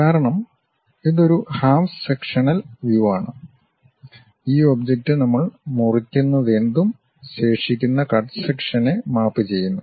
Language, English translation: Malayalam, Because, it is a half sectional representation, this object whatever we are slicing it maps the remaining cut sectional thing